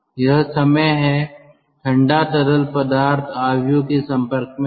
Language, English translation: Hindi, this is the time the cold fluid is in contact with the matrix